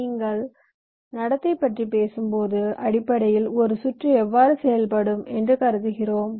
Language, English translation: Tamil, so when you talk about behavioral, we basically, ah, talking about how circuit is suppose to behave